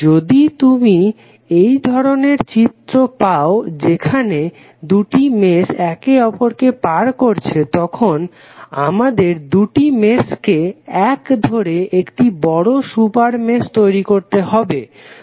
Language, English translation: Bengali, If you have this kind of scenario where two meshes are crossing each other we have to merge both of them and create a larger super mesh